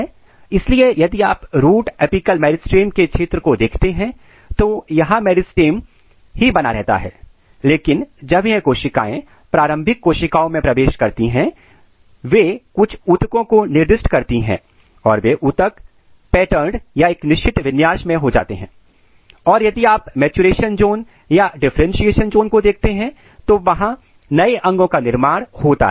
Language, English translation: Hindi, So, if you look the region of root apical meristem here meristem is maintained, but when the this cells enters the initial cells they specifies some tissue those tissues are patterned, if you go to the maturation zone or if you go to the differentiation zone, then new organs are being formed